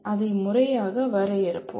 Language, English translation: Tamil, We will formally define it